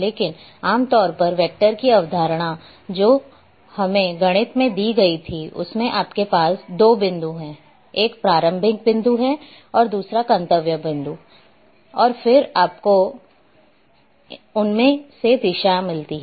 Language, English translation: Hindi, But, generally the concept of vector which was given to us in mathematics is you are having 2 points; one is beginning point or origin another one is destination and then you are having direction